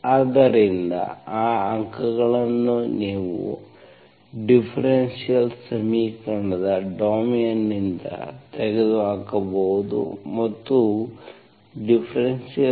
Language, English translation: Kannada, So those points you can remove from the domain of the differential equation and consider the differential equation